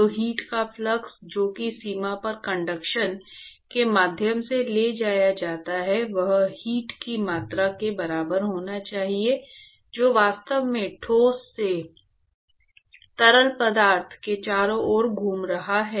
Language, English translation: Hindi, So, the flux of heat that is transported via conduction at the boundary it should be equal to the amount of heat that is actually transported from the solid to the fluid that is circulating around